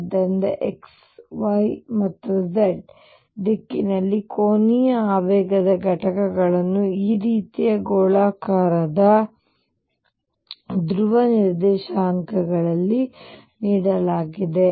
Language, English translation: Kannada, So, the components of angular momentum in x y and z direction are given in terms of spherical polar coordinates like this